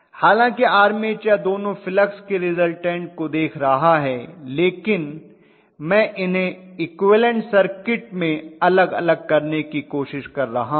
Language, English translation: Hindi, So although the armature is looking at the resultant of both the fluxes I am trying to bifurcate them in the equivalent circuit